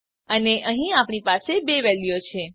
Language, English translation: Gujarati, And here we have two values